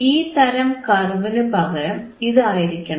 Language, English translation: Malayalam, That you have this instead of this kind of curve